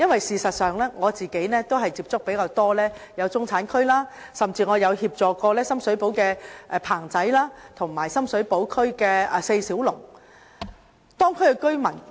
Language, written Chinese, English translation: Cantonese, 事實上，我較多接觸中產區，甚至協助深水埗"棚仔"和"西九四小龍"的布販及居民。, As a matter of fact I spend much time meeting with the middle class even helping the cloth hawkers in Pang - tsai in Sham Shui Po and residents in estates of Four Little Dragons of West Kowloon